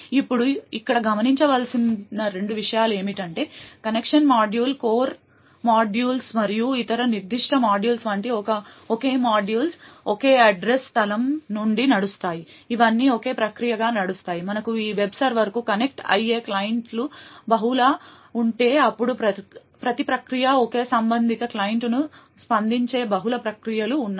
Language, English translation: Telugu, Now two things to note over here is that all of these modules like the connection module, the core modules and the various other specific modules run from a single address space, that is all of them run as a single process, further if we have multiple clients connecting to this web server then there are multiple processes which responds each process amping a single corresponding client